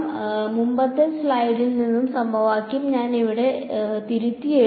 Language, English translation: Malayalam, So, I have rewritten the equation from the previous slide over here right